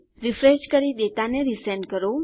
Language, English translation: Gujarati, Refresh and Resend the data